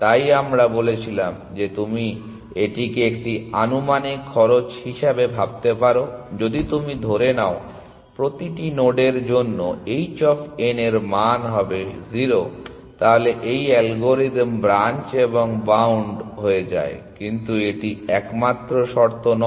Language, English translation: Bengali, That is why we said that you can think of this as an estimated cost, if you just assume h of n is 0 for every node then this algorithm becomes branch and bound essentially, but this is not the only condition